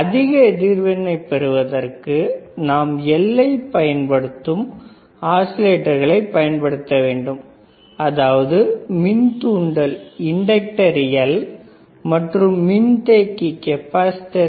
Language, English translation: Tamil, For higher frequency we have to use oscillators that are using L, that is inductor and C, is a capacitor right